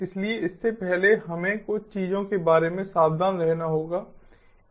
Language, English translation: Hindi, so before that, we have to be careful about few things